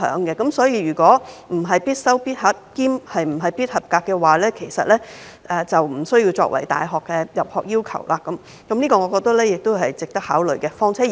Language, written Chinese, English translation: Cantonese, 因此，如果通識科不是"必修必考必合格"，這科的成績便不會列入大學的入學要求，我覺得這是值得考慮的。, Thus if the LS subject is no longer a compulsory core and must - pass examination subject its examination results will not be included as an entrance requirement of universities . I think this proposal is worthy of consideration